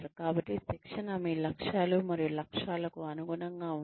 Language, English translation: Telugu, So, if the training, is aligned with your goals and objectives